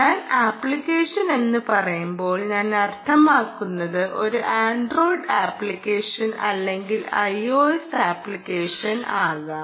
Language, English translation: Malayalam, when i say app, i mean ah, an android app, or it can also be a i o s app